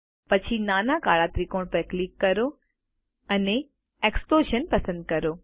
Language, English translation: Gujarati, Then, click on the small black triangle and select Explosion